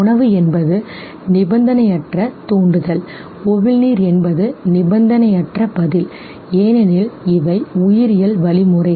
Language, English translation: Tamil, Food is the unconditioned stimulus, salivation is the unconditioned response because these are biological mechanisms